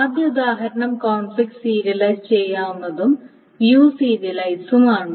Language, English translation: Malayalam, So, if something is conflict serializable, it must be view serializable